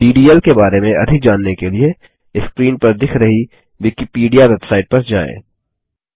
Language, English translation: Hindi, To know more about DDL visit the Wikipedia website shown on the screen